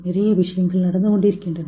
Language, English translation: Tamil, A lot of stuff is going on